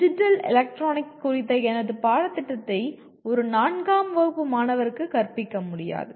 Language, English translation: Tamil, I cannot teach my course on digital electronics to a necessarily to a student of let us say 4th standard